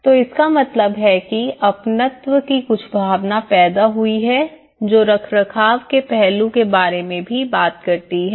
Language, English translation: Hindi, So, that means that has created some sense of ownness also talks about the maintenance aspect